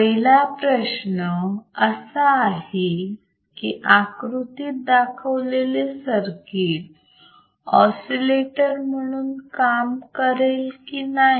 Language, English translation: Marathi, Example 1 is determine whether the circuit shown in figure below will work as an oscillator or not